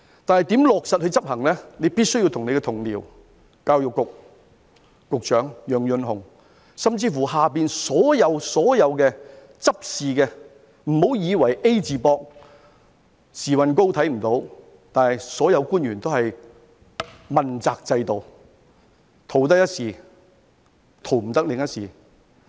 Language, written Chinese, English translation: Cantonese, 但是，如何落實執行，你必須與你的同僚、教育局局長楊潤雄，甚至轄下所有執事的，不要以為 "A 字膊"、時運高看不到，所有官員都是問責制的，逃得一時，逃不得另一時。, However as to the implementation you must discuss with your colleague Kevin YEUNG Secretary for Education and also those working under him . Do not shirk your responsibility and pretend not to see the problems . All principal officials are subject to the accountability system